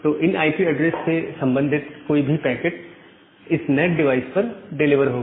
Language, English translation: Hindi, So, any packet to those IP addresses will be delivered to that NAT device